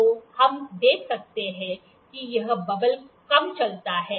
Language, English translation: Hindi, So, the we can just see when does this bubble moves